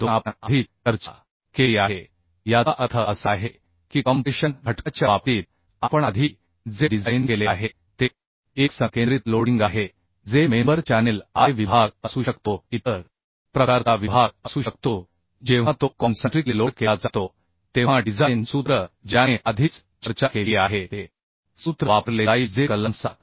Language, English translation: Marathi, 2 we have discussed already that means it is a concentric loading what we have designed earlier in case of compression member may be that member it may be channel section maybe I section maybe other type of section when it is concentrically loaded then the design formula which I have already already discussed that formula will be used which is given in clause 7